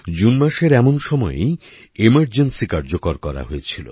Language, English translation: Bengali, It was the month of June when emergency was imposed